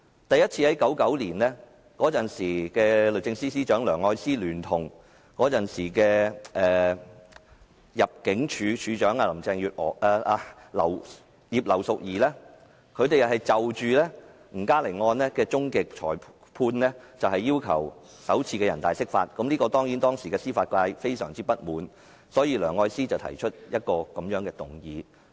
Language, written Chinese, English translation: Cantonese, 第一次在1999年，當時的律政司司長梁愛詩聯同當時的入境事務處處長葉劉淑儀，就吳嘉玲案的終極裁判首次要求全國人民代表大會常務委員會解釋《基本法》，這當然令當時的司法界非常不滿，所以梁愛詩提出一項無約束力議案。, The first one was in 1999 when the then Secretary for Justice Elsie LEUNG and the then Director of Immigration Regina IP requested the Standing Committee of the National Peoples Congress to interpret the Basic Law in respect of the final decision on the NG Ka - ling case . This of course aroused enormous discontent in the judicial sector